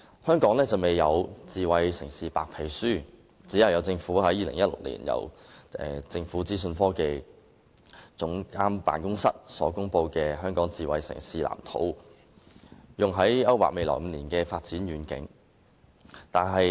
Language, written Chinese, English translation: Cantonese, 香港現時還沒有公布"智慧城市白皮書"，政府僅於2016年由政府資訊科技總監辦公室公布《香港智慧城市藍圖》，勾劃未來5年的發展遠景。, Hong Kong has yet to publish a White Paper on smart city . In 2016 the Office of the Government Chief Information Officer released the Smart City Blueprint for Hong Kong to map out the vision for development in the next five years